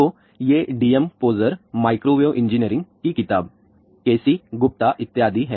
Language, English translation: Hindi, So, these are you can D M Pozar, Microwave Engineering book K C Gupta and so on